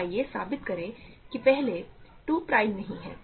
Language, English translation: Hindi, So, let us prove that first, 2 is not prime ok